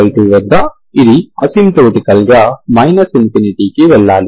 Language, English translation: Telugu, At 3 pie by 2 it should go to asymptotically minus infinity